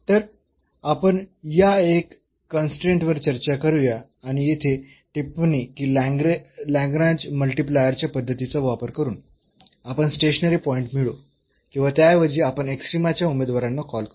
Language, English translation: Marathi, So, anyway let us discuss for this one very one constraint and the remark here that using this method of Lagrange multiplier, we will obtain the stationary point or rather we call the candidates for the extrema